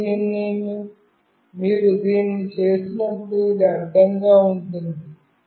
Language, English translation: Telugu, And when you do this, it will be horizontally right